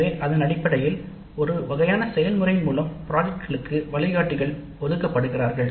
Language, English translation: Tamil, So based on that there is a kind of a process by which the guides are allocated to the projects